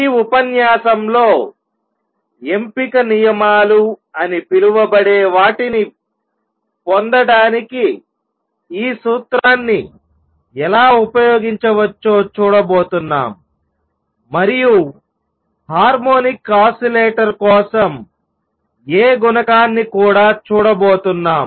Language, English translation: Telugu, In this lecture, we are going to see how we can use this principle to derive something called the selection rules and also the A coefficient for the harmonic oscillator